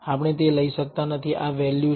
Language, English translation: Gujarati, We cannot take it that this value is